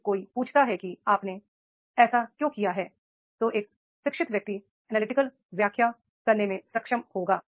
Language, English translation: Hindi, If somebody did he ask that is why you have done so and then he will be an educated person will be able to tell analytical explanation